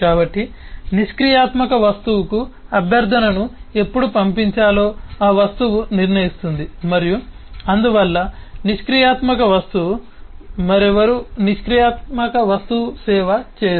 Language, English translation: Telugu, so the object decides when it is to send the request to the passive object and therefore passive object has nobody else the passive object will service